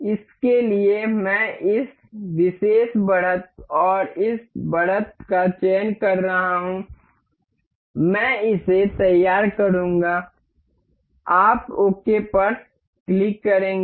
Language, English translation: Hindi, For this we I am selecting the this particular edge and this edge, I will mate it up, you will click ok